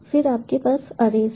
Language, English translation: Hindi, then you have arrays